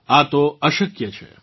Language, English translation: Gujarati, This is just impossible